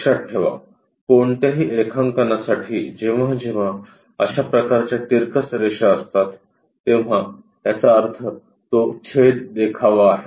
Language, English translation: Marathi, Remember for any drawing whenever such kind of incline lines are there; that means, it is a cut sectional view